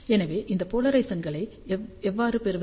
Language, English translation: Tamil, So, how do we get these polarizations